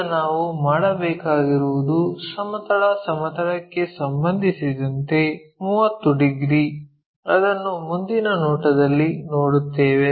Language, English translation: Kannada, Now, what we have to do is 30 degrees with respect to horizontal plane, which we will see it in the front view